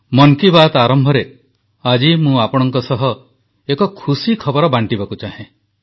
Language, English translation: Odia, I want to share a good news with you all at the beginning of Mann ki Baat today